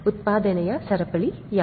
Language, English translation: Kannada, What is the chain of production